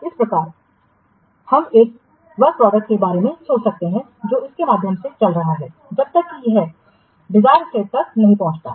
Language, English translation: Hindi, So, thus we can think of a work product which is going through a series of updates till it reaches a desired state